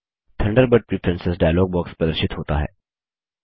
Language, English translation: Hindi, The Thunderbird Preferences dialog box appears